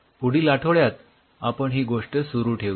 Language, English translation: Marathi, next week we will continue this story